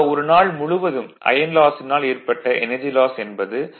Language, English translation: Tamil, Therefore, energy loss due to copper loss during the whole day you add 0